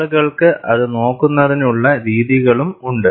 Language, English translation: Malayalam, People also have methodologies to look at that